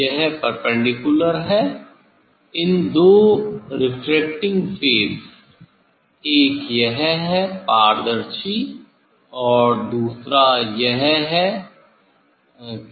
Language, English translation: Hindi, this is the perpendicular to the; two refracting face one is transparent this one and the other one